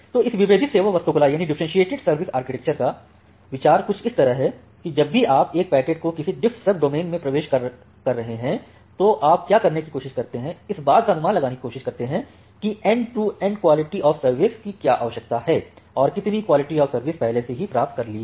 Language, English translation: Hindi, So, the idea of this differentiated service architecture is something like this, that whenever you are entering a packet to one DiffServ domain, what you try to do you try to make an estimation about what is the end to end quality of service requirement, and how much quality of service it has already obtained